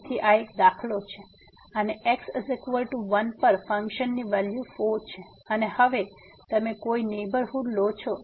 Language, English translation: Gujarati, So, this is a for instance and at x is equal to 1 the value of the function is 4 and now, you take any neighborhood